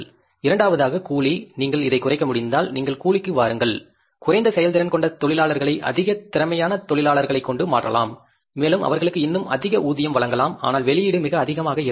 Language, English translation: Tamil, Wages if you are able to reduce, you can replace the less efficient workers with the more efficient workers and you can say pay them even more but the output will be very high